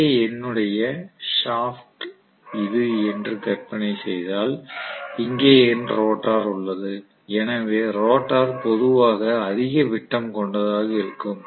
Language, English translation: Tamil, I am going to have basically if here is my shaft imagine that this is my shaft okay, in here is my rotor, rotor will be generally having a higher diameter